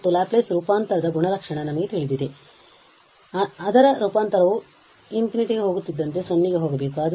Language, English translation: Kannada, And we know the property of the Laplace transform that its transform must go to 0 as s goes to infinity